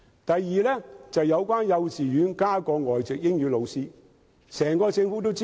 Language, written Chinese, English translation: Cantonese, 第二是在幼稚園增聘外籍英語老師。, The second issue is employing additional native English - speaking teachers in kindergartens